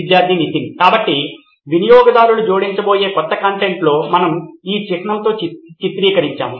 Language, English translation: Telugu, Students Nithin: So in the new content that users are going to add, that we have depicted with this icon